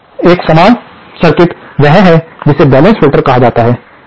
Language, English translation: Hindi, A similar circuit is what is called a balanced filter